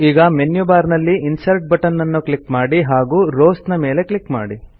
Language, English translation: Kannada, Now click on the Insert option in the menu bar and then click on Rows